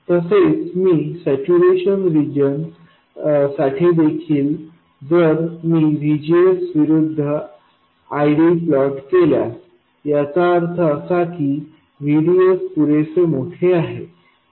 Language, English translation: Marathi, And also if I plot the ID versus VGS, assuming saturation region in this case, which means that VDS is assumed to be large enough